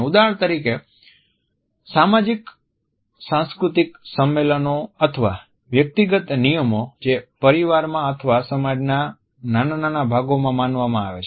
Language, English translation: Gujarati, There may be for example socio cultural conventions or individual rules running within families or a smaller segments of society